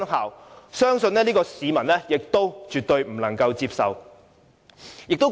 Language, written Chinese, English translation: Cantonese, 我相信這是市民絕對不能接受的。, I believe this amendment is absolutely unacceptable to the public